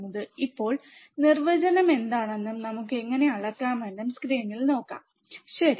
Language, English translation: Malayalam, Now, let us see the on the screen what what the definition is and how we can measure the output offset voltage, right